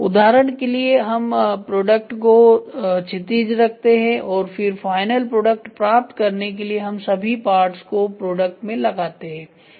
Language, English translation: Hindi, For example, we place the product horizontal and then start putting all the parts in the product to get the final parts